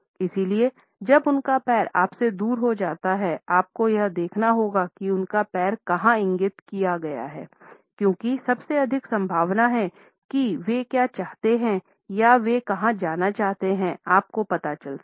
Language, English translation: Hindi, So, when their foot is pointed away from you; you might want to look where their foot is pointed because they are most likely it is in the general vicinity of what they are interested in or where they want to go